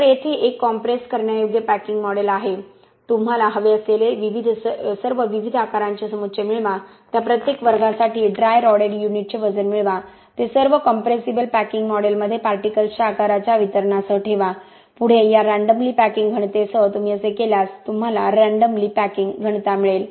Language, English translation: Marathi, So here is a compressible packing model get all the different sizes of aggregates that you want you get the dry rodded unit weight for each of those class of aggregates, put all of them in the compressible packing model along with particle size distribution come up with random packing densities, if you do that you will get random packing densities